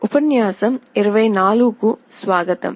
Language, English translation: Telugu, Welcome to lecture 24